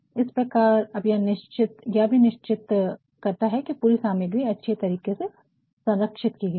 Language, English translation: Hindi, Hence, the cover also should ensure that the entire material is preserved properly